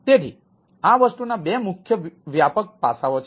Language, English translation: Gujarati, so there are different aspects